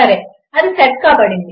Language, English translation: Telugu, Okay that has been set